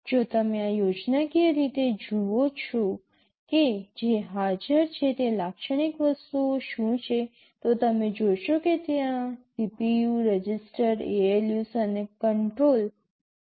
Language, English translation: Gujarati, If you look at this schematic what are the typical things that are present, you will see that, there is CPU, registers, ALU’s and control